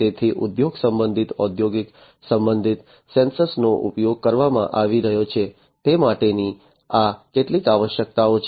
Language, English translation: Gujarati, So, these are some of these requirements for industry related, you know, industrial related sensors being used